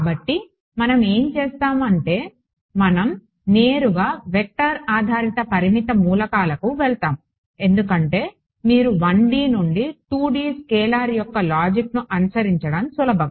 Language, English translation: Telugu, So, what we will do is we will directly jump to vector based a finite elements because you can it is easy for you to follow the logic of 1D to 2D scalar